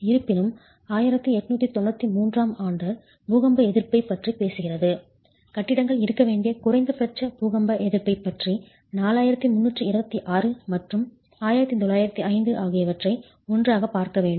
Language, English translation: Tamil, However, since IS 18992 talks about earthquake resistance, minimum earthquake resistance that buildings must have, 4326 and 1905 have to be looked at together